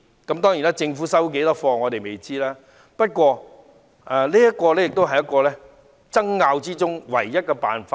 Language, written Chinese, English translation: Cantonese, 我們不知道政府會接受當中的多少意見，不過，這是爭拗中的唯一辦法。, We do not know how many suggestions the Government will adopt but this is the only solution amid the contention